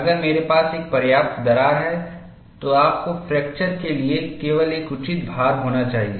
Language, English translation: Hindi, If I have a long enough crack, you need to have only a reasonable load to fracture